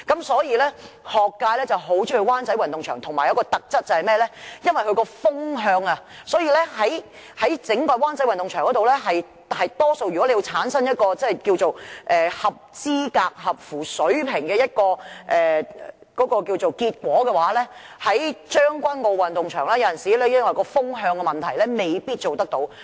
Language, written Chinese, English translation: Cantonese, 所以，學界很喜歡到灣仔運動場，而它亦有一個特質，便是風向適中，所以在灣仔運動場，可以產生合資格、合乎水平的結果，而將軍澳運動場有時因為風向的問題，未必做得到。, That is why the Wan Chai Sports Ground is a favourite place for schools . Its other feature is the proper wind direction and thus recognizable and qualifying athletic records can be set in Wan Chai Sports Ground which may not be possible in Tseung Kwan O Sports Ground